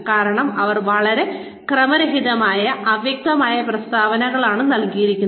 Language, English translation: Malayalam, It because they are given, very random, vague statements